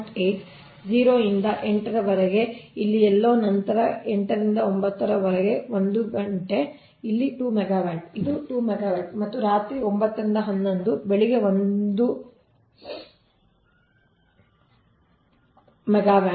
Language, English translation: Kannada, then eight pm to nine, one hour, it is two megawatt, it is two megawatt, and nine pm to eleven am one megawatt